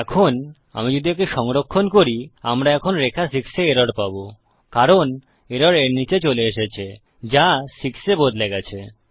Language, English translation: Bengali, Now if I were to save that, we will now get an error on line 6 because the error has come down to it, that changes to 6